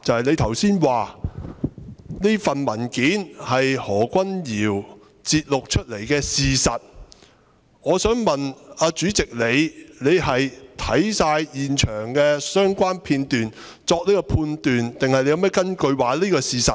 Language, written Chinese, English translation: Cantonese, 你剛才說這份文件是何君堯議員節錄出來的事實，我想問主席你是否已看過全部現場相關片段才作出判斷，還是你有何根據認為這是事實？, Just now you said that this paper was an excerpt of facts compiled by Dr Junius HO . I wish to ask President had you watched all the footage of the scene before making the judgment or what is your basis for believing that it is true?